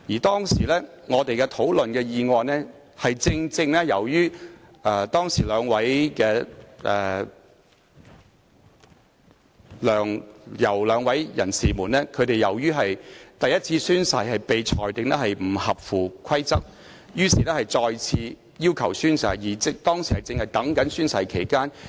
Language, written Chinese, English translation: Cantonese, 當時我們討論的議案，正正關乎梁、游兩位人士因其第一次宣誓被裁定不合乎規則而要求再次宣誓一事，而當時正值等候宣誓期間。, It so happened that the motion under discussion at that time was about the requests of the two persons Mr LEUNG and Ms YAU to take their oaths afresh as their oaths taken for the first time were ruled inconsistent with the rules and it was right at the time when they were waiting to take their oaths